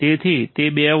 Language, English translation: Gujarati, So, it is 2 volts